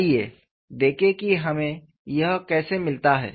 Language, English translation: Hindi, Let us see, how we get this